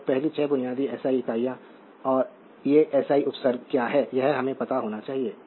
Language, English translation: Hindi, So, first basic 6 SI units and these are your what you call the SI prefixes so, this we should know right